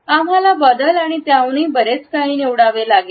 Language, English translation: Marathi, We have to choose between change and more of the same